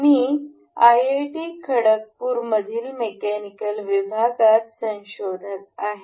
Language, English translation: Marathi, I am research scholar in the Mechanical Department in IIT, Khargpur